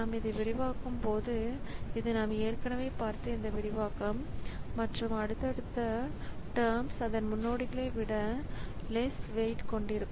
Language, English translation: Tamil, And as we expand it so this is this expansion we have already seen and successive terms they will have less weight than its predecessor